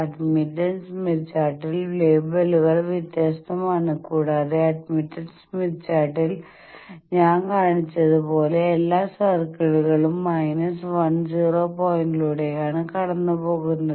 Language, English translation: Malayalam, On admittance smith chart the labels are different, and the admittance smith chart as I shown they are all the circles are passing through minus one zero point and they are values are different as can be seen here